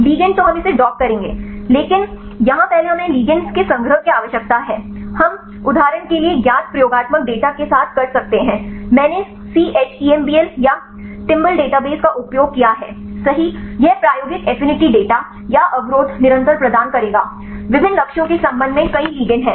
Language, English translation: Hindi, Ligand then we will we will dock that, but here first we need the collection of ligands, we can with known experimental data for example, I used the ChEMBL right or the Timbal databases, this will provide the experimental affinity data or the inhibition constant for several ligands right with respect to different targets